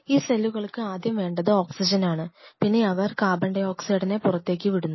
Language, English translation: Malayalam, These cells out here have the first parameter they need Oxygen and they give out Carbon dioxide